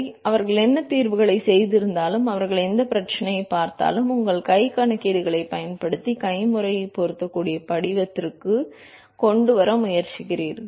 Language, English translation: Tamil, So, they whatever solutions they made, whatever problems they looked at, they want to try to bring it to a form which can be fit manually by using your hand calculations